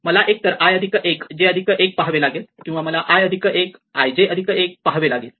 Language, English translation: Marathi, I do not even have to look at i plus 1 j plus 1, I directly says that 0 because is not there